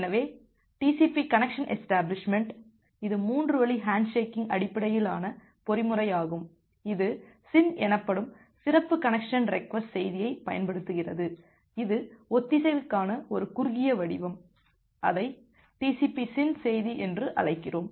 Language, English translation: Tamil, So, TCP connection establishment, it is a three way handshaking based mechanism it is utilizes a special connection request message called SYN a short form for synchronization we call it as TCP SYN message